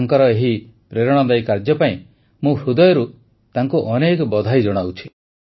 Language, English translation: Odia, I heartily congratulate his efforts, for his inspirational work